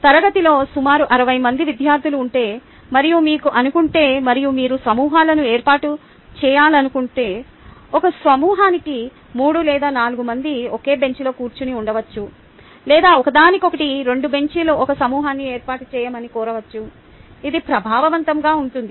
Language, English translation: Telugu, if there are about sixty students in class and you know ah, and you want to form groups, maybe about three or four per group people were sitting together in the same bench or two benches next to each other could be asked to form a group